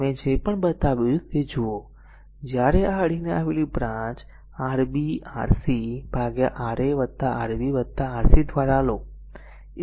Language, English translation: Gujarati, Whatever I shown look R 1 is equal to when you take R 1 product of this adjacent branch Rb Rc by Ra plus Rb plus Rc